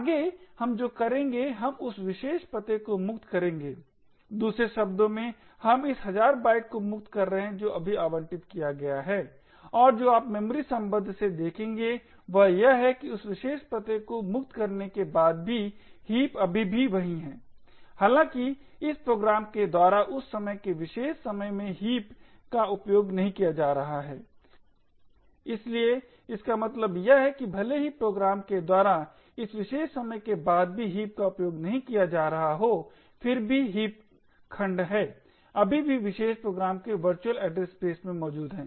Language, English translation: Hindi, Next what we will do is we will free that particular address, in other words we are freeing this thousand bytes which has just got allocated and what you would see from the memory maps is that even after freeing that particular address the heap still remains the same that there is even though the heap is not being used by this program at this particular instant of time, so what this means is that even though the heap is not being used after this particular point in time by the program, nevertheless the heap segment is still present in the virtual address space of the particular program